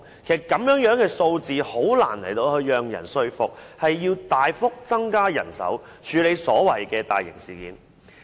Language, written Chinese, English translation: Cantonese, 這樣的數字很難說服市民，需要大幅增加人手，處理所謂的大型事件。, With such figures it is difficult to convince the public of the Police Forces need to increase its manpower drastically to deal with some so - called major incidents